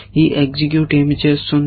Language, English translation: Telugu, What is this execute doing